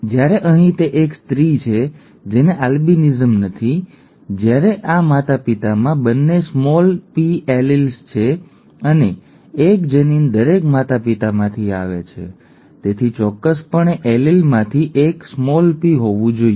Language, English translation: Gujarati, Whereas here the person does not have, itÕs a female who does not have albinism, okay, whereas this parent has both small p alleles and since one allele comes from each parent, definitely one of the alleles has to be p